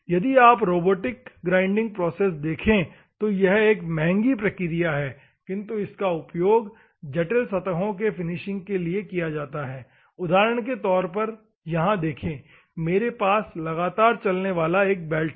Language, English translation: Hindi, If you see the robotic and this is a costly process wherever if at all I want to go for the finishing of complex surfaces, for example, here I have a belt, continuously moving belt is there